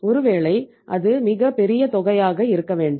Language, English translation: Tamil, Maybe it is not very large amount